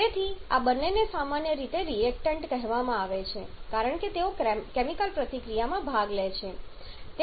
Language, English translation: Gujarati, So, these 2 together are generally called reactants because they participate in the chemical reaction